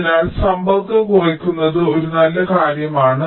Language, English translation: Malayalam, so reducing the contact is a good thing